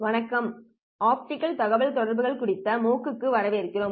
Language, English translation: Tamil, Hello and welcome to the MOOC on optical communications